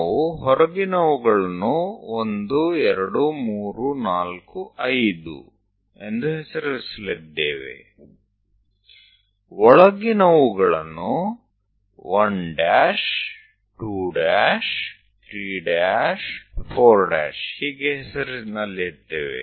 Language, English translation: Kannada, The outer ones we are going to name it as 1, 2, 3, 4, 5; inner ones we are going to name it like 1 dash, 2 dash, 3 dash, 4 dash and so on